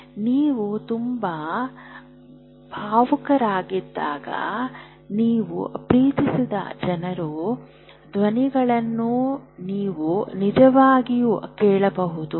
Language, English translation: Kannada, When you are very, very emotional, you may actually hear voices of the people whom you love